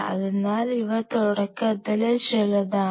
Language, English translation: Malayalam, So, these are some of the very beginning